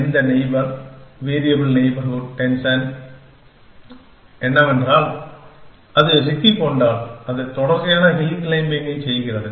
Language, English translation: Tamil, And what neighbor, variable neighborhood descent is that when it get stuck, it does a series of hill climbing's